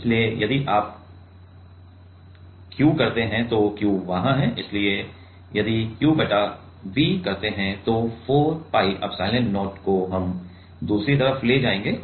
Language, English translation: Hindi, So, if you do Q so Q is there, so if you do Q by V 4 pi epsilon not we will go on the other side